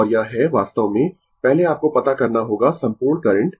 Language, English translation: Hindi, And this is actually first you find out the total current